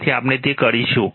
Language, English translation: Gujarati, So, we will do it